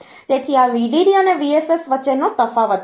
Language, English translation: Gujarati, So, difference between VDD and VSS